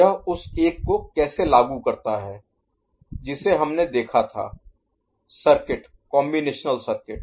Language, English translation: Hindi, How it implements the one that we had seen the circuit, the combinatorial circuit